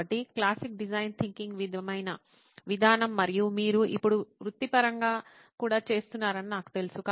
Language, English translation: Telugu, So very classic design thinking sort of approach in this and I know you are also doing it professionally now